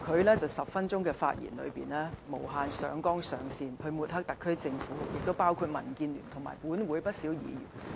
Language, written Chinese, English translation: Cantonese, 他在10分鐘的發言中，無限上綱上線抹黑特區政府，亦抹黑民建聯及本會不少議員。, In his 10 - minute speech he kept defaming the SAR Government in the most exaggerating manner as well as defaming the Democratic Alliance for the Betterment and Progress of Hong Kong DAB and many Members in this Council